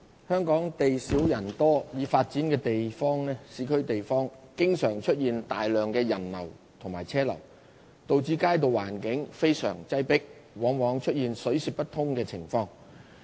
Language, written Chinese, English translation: Cantonese, 香港地少人多，已發展的市區地方經常出現大量人流和車流，導致街道環境非常擠迫，往往出現水泄不通情況。, Hong Kong is a small city with a dense population . The streets in the developed urban areas are often clogged with heavy pedestrian and vehicular flow